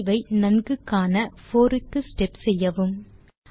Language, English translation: Tamil, To notice this effect more clearly, increase the step to 4